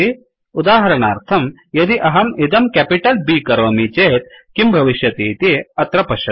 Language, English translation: Sanskrit, For example if I change this to capital B, See what happens here